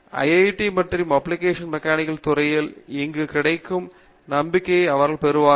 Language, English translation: Tamil, The confidence they gain while here at IIT and in the Department of Applied Mechanics